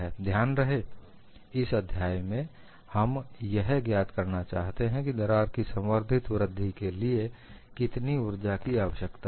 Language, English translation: Hindi, So, the goal in this chapter is to find out, what is the kind of energy required for advancement of a crack